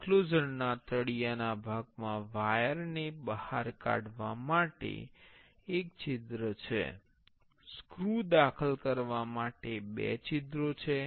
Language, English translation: Gujarati, In the enclosure bottom part, there is one hole to take the wires out, there are two holes to insert the screws